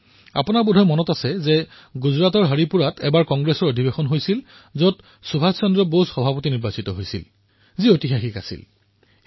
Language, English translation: Assamese, You may remember that in the Haripura Congress Session in Gujarat, Subhash Chandra Bose being elected as President is recorded in history